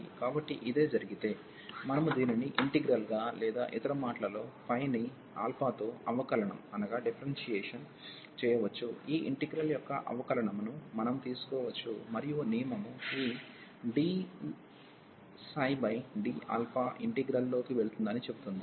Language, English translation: Telugu, So, if this is the case, we can differentiate this phi with respect to alpha or in other words we can take the differentiation of this integral, and the rule says that this d over d alpha will go into the integral